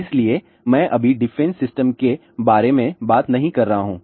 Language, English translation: Hindi, So, I am not talking about the defense system right now